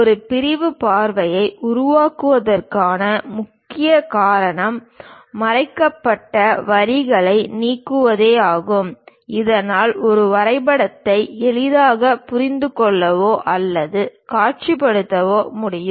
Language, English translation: Tamil, The main reason for creating a sectional view is elimination of the hidden lines, so that a drawing can be more easily understood or visualized